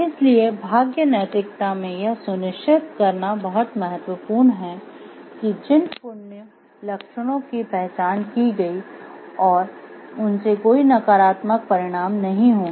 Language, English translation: Hindi, So, in fortune ethics it is important very very important to ensure that the traits that are identified are virtuous are indeed virtuous and will not lead to any negative consequences